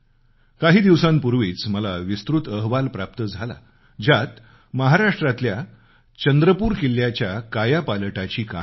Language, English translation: Marathi, A few days ago I received a very detailed report highlighting the story of transformation of Chandrapur Fort in Maharashtra